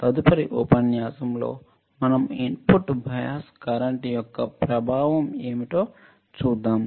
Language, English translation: Telugu, We have seen in the lectures what are input bias current